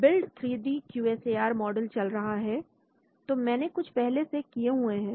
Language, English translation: Hindi, Build 3D QSAR model, running so I had done before couple of them